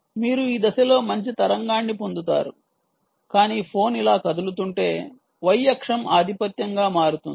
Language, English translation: Telugu, right, you will get a nice wave in this direction, but if the phone moves like this, the y axis will become a dominant thing